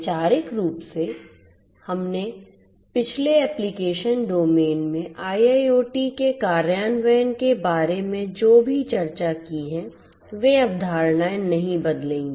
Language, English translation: Hindi, Conceptually whatever we have discussed about the implementation of IIoT in the previous application domains, those concepts will not change